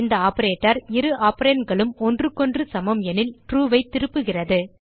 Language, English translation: Tamil, This operator returns true when both operands are equal to one another